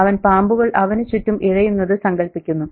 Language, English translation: Malayalam, He imagines snakes, you know, crawling around and things like that